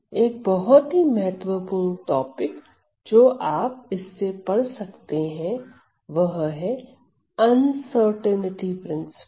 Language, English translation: Hindi, And one very I nteresting topic to read is the s, called uncertainty principle